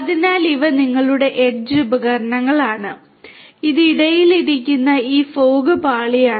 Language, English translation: Malayalam, So, these are your edge devices and this is this fog layer that is sitting in between